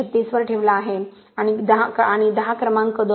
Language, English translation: Marathi, 36 and number 10 is passing 2